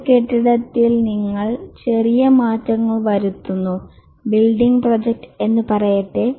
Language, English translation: Malayalam, In a building, you make small alterations, let's say building project